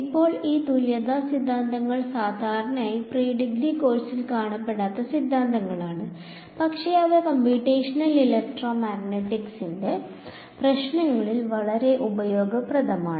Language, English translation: Malayalam, Now, this equivalence theorems are theorems where usually they are not encountered in undergraduate course, but they are very useful in computational problems